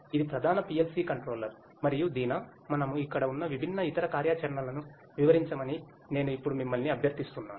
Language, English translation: Telugu, This is the main PLC controller and Deena, can I now request you to explain the different other functionalities that we have over here